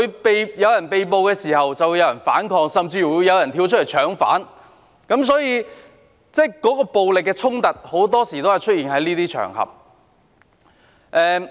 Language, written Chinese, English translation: Cantonese, 當有人被捕時，就會有人反抗，甚至會有人"搶犯"，所以暴力衝突很多時會在這些場合出現。, After an arrest was made people would resist and someone would even snatch the offender . For this reason violent conflicts often arose on these occasions